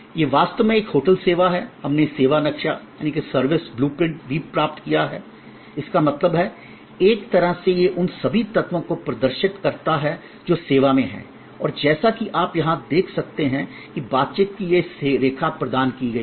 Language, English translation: Hindi, This is actually a hotel service, we also got it service blue print in; that means, in a way it exhibits all the elements that go in to the service and it also as you can see here, that this line of interaction is provided